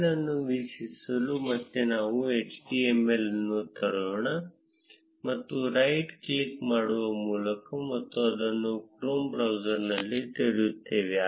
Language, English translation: Kannada, To view the file, again let us open the html that is created by right clicking and opening it in the chrome browser